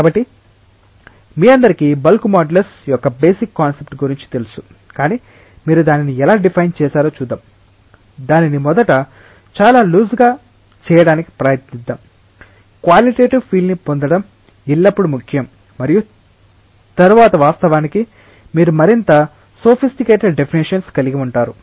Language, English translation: Telugu, of bulk modulus, but let us just see that how you have defined it let us try to define it first in a very loose manner, it is always important to get a qualitative feel and then of course, you can have more sophisticated definitions